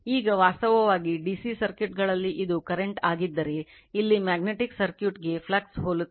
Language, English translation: Kannada, Now, phi actually in DC circuits say if it is a current, here analogous to magnetic circuit is a flux